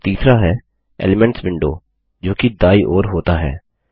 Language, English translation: Hindi, And the third is the Elements window that floats on the right